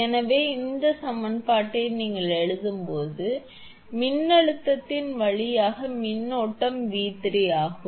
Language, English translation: Tamil, So, when you write the equation, so current through the voltage across this is V 3